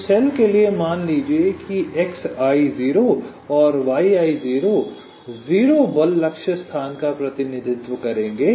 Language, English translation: Hindi, so, ah, for the cell i, lets assume that x, i zero and yi zero will represents the zero force target location